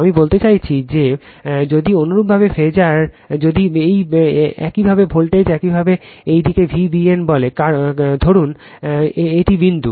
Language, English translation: Bengali, I mean suppose if your phasor if your voltage you say V b n in this side, suppose this is the point